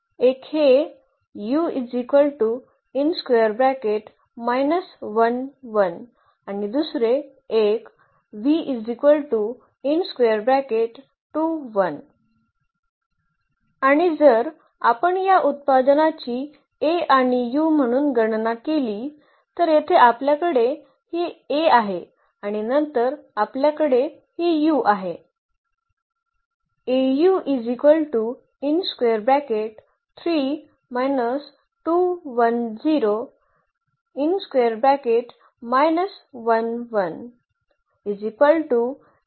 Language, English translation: Marathi, And, with this if we compute this product here A and u so, here we have this A and then we have this u